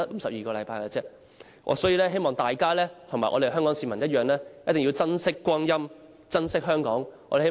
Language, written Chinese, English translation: Cantonese, 所以，我希望大家和香港市民同樣珍惜光陰、珍惜香港。, Therefore I hope that Members and the pubic in Hong Kong will treasure our time as well as Hong Kong